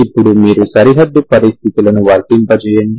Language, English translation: Telugu, Now you can apply other boundary conditions